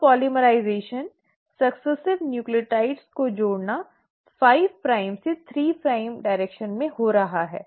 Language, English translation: Hindi, So the polymerisation, adding in of successive nucleotides is happening in a 5 prime to 3 prime direction